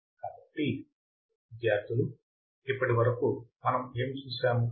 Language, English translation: Telugu, So, guys, until now what have we seen